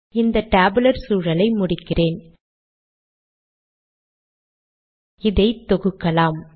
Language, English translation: Tamil, Let me end this tabular environment